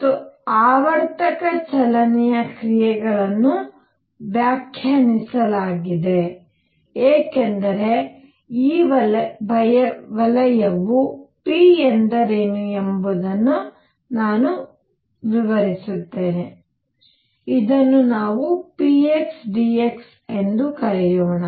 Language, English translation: Kannada, And actions for periodic motion is defined as I will explain what this circle means p, let us call it p x d x this is the action